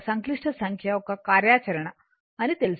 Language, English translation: Telugu, You know the operation of complex number, right